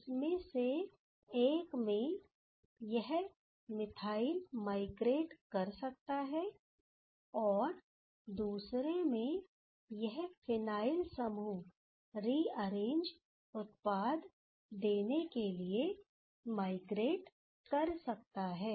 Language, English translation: Hindi, One is that this methyl can migrate, and this phenyl group can migrate to give the rearranged product